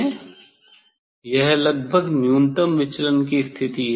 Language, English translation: Hindi, this is the minimum deviation position approximately